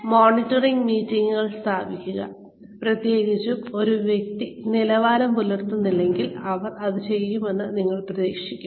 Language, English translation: Malayalam, Establish monitoring meetings, is especially, if a person has not been performing to the level, that you would expect them to do, perform